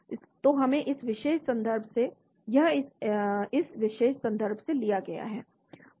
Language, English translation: Hindi, so this is taken from this particular reference